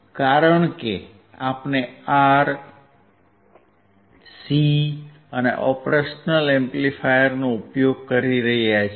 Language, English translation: Gujarati, Because we are using R we are using C and we are using operational amplifier